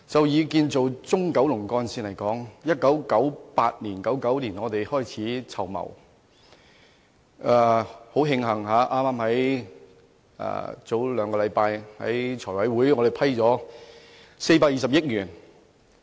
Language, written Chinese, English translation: Cantonese, 以建造中九龍幹線為例，由1998年、1999年開始籌謀，很慶幸，剛在兩星期前的財務委員會會議上獲撥款420億元。, I would use the construction of the Central Kowloon Route as an example . The road project was first introduced in around 1998 to 1999 . Luckily enough the 42 billion funding application for the construction works was approved by the Finance Committee two weeks ago